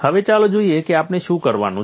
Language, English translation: Gujarati, Now, let us see what we have to do